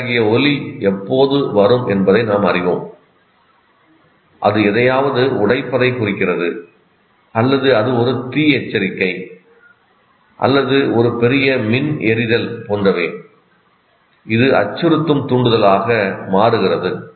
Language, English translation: Tamil, We know when such and such a sound comes, it represents something breaking down or there is a fire alarm or there is a big electrical burnout or something, whatever it is, it becomes a threatening stimulus